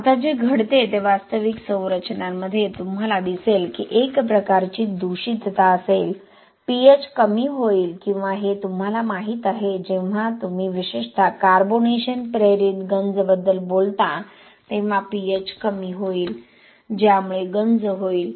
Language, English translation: Marathi, Now what happens is in real structures you will see that there will be some kind of contamination, pH will drop or that is you know when you talk about especially carbonation induced corrosion pH will drop which will lead to corrosion